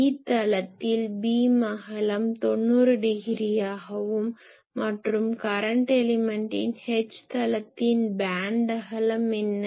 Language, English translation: Tamil, So, in the E plane , the beam width is 90 degree and in the H plane of the current element , what will be the bandwidth